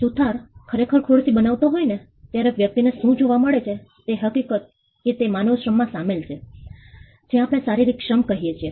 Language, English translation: Gujarati, What a person gets to see when a carpenter is actually making a chair, is the fact that he is involved in human labor, what we call physical labor